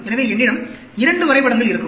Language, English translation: Tamil, So, I will have 2 graphs